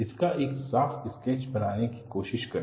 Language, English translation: Hindi, Try to make a neat sketch of this